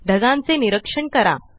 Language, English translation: Marathi, Observe the clouds, now